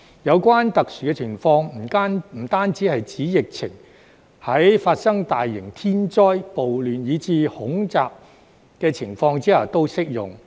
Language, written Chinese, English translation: Cantonese, 有關特殊情況不單是指疫情，在發生大型天災、暴亂，以至恐襲的情況下都適用。, Relevant exceptional circumstances are not limited to epidemics but cover large - scale natural disasters riots and terrorist attacks as well